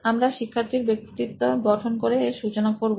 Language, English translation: Bengali, So we will start off by creating the persona for the student